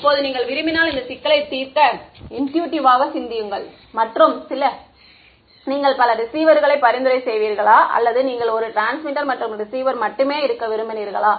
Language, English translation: Tamil, Now, just thinking intuitively if you wanted to solve this problem and would you rather have so many receivers or would you have like the suggestion only one transmitter and receiver